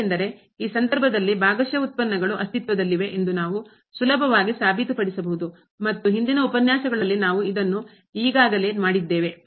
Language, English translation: Kannada, Because in this case we can easily a prove that the partial derivatives exist and we have already done this in previous lectures